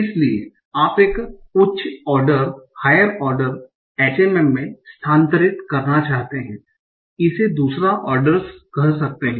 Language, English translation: Hindi, So you might want to move to a higher order HM, say second order